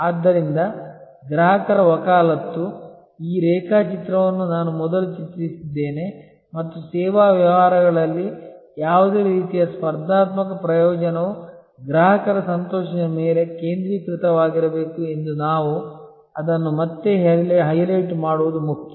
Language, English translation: Kannada, So, customer advocacy, this diagram I have drawn before and it is important that we highlight it again that in service businesses any kind of competitive advantage needs to stay focused on customer delight